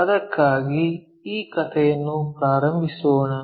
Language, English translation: Kannada, For that let us begin this story